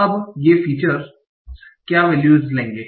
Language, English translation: Hindi, Now, what are the values these features will take